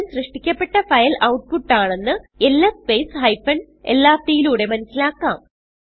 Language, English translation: Malayalam, By typing ls space hyphen lrt, we can see that output is the last file to be created